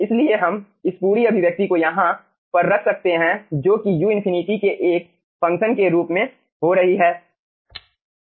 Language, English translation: Hindi, okay, so we can put this whole expression over here which will be getting as a function of u infinity